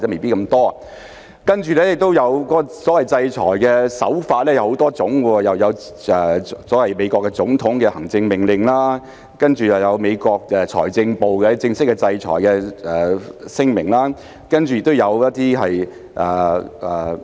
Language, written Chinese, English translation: Cantonese, 再者，所謂制裁的手法有很多種，例如所謂美國總統的行政命令，然後有美國財政部的正式制裁聲明，接着有國土安全部的一些聲明。, Moreover the so - called sanctions have come in many forms such as a so - called executive order of the President of the United States followed by an official sanction statement by the United States Treasury Department and then some statements from the Department of Homeland Security